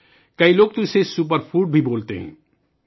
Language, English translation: Urdu, Many people even call it a Superfood